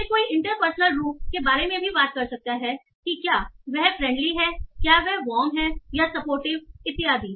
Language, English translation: Hindi, Then one can talk about the interpersonal stances, that is whether he is friendly, whether he is warm, supportive, so on